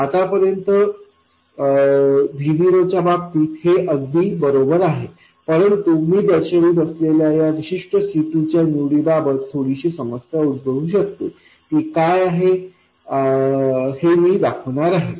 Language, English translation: Marathi, Now this is perfectly all right as far as V0 is concerned but there could be a slight problem with this particular choice of C2 that I will show